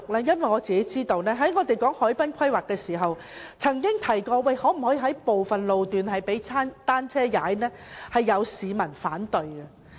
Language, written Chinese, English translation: Cantonese, 因為在討論海濱規劃時，我們曾經提出能否劃出部分路段供單車行駛，但有市民反對。, Because during our discussion about the harbourfront planning we proposed designating some road sections for cycling but some members of the public objected